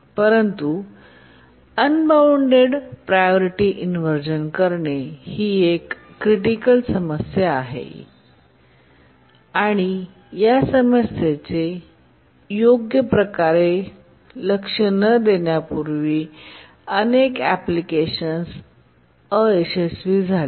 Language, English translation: Marathi, But unbounded priority inversion is a very, very severe problem and many applications in the past have failed for not properly addressing the unbounded priority inversion problem